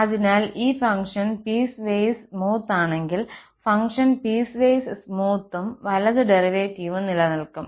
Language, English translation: Malayalam, So, if the function is piecewise smooth, if the function is piecewise smooth then the right derivative exists